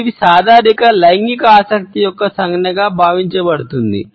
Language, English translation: Telugu, It is commonly perceived as a gesture of sexual interest